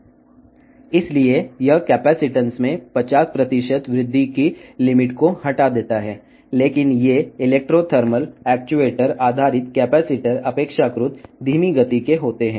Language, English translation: Telugu, Therefore, it removes the limit of 50 percent increase in capacitance , but these Electro thermal actuator based capacitors are relatively